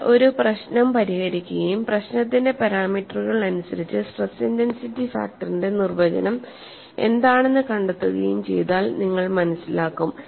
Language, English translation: Malayalam, So, when you solve a problem and find out what is the definition of stress intensity factor of in terms of the parameters of the problem then you will appreciate